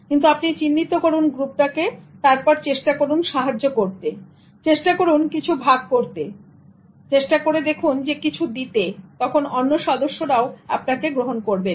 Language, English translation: Bengali, But you identify groups and then you try to contribute, you try to share, you try to give and then people will accept you